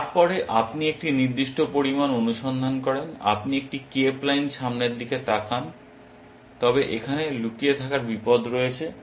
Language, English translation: Bengali, Then, you do a certain amount of search, you do a cape line look ahead, but there is a danger of lurking here